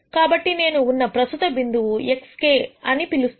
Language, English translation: Telugu, So, the current point that I am at is what I would call as x k